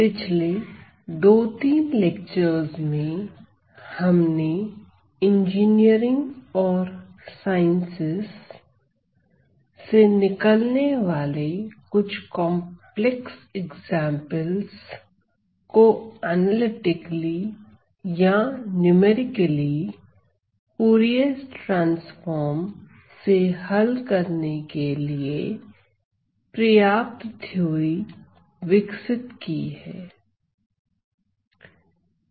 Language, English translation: Hindi, The last 2 3 lectures we have developed sufficient theory to look at some complex examples arising from engineering and sciences that can be solved analytically mostly analytically or numerically otherwise as well via the use of Fourier transform